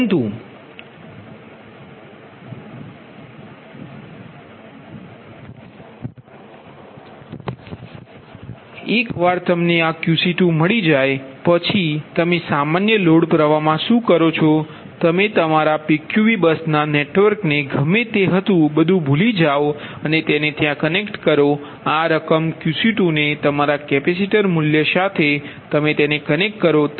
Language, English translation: Gujarati, ah, once you get this value, qc two, got it, then what you do, take a normal load flow, forget our pqv bus, anything, whatever your network is that take that one and there you connect that these amount of your what you call that capacitor value, right